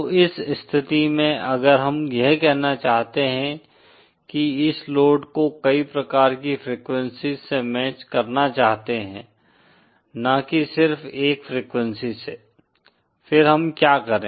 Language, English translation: Hindi, So in that cases if we want to say match this load for a wide range of frequencies, not just for a single frequency; then what do we do